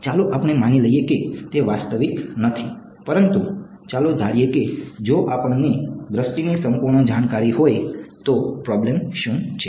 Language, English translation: Gujarati, Let us assume it is not realistic, but let us assume even if we had perfect knowledge of view what is the problem